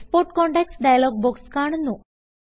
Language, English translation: Malayalam, The Export contacts dialog box appears